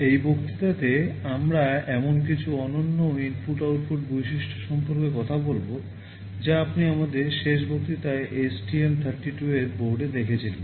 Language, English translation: Bengali, In this lecture, we shall be talking about some of the unique input output features that are available in the STM32 board which you saw in our last lecture